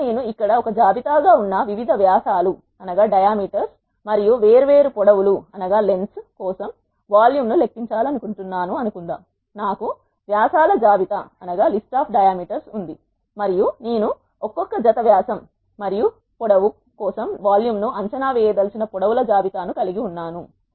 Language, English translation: Telugu, Now, let us suppose I want to calculate the volume for different diameters and different lengths which are having as a list here, I have a list of diameters and I have a list of lengths I want to evaluate the volume for each individual pairs of dia and length